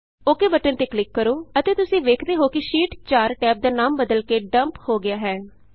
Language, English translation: Punjabi, Click on the OK button and you see that the Sheet 4 tab has been renamed to Dump